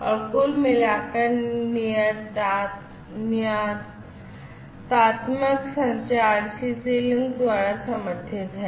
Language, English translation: Hindi, And, overall the deterministic communication is supported by CC link